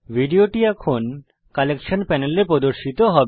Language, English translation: Bengali, The video will now be displayed in the Collections Panel